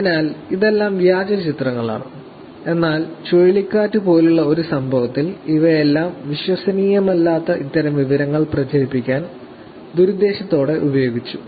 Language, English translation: Malayalam, So, all these are fake images, but they were all used in an incident like hurricane sandy to propagate malicious intent, to propagate these kinds of information which is not credible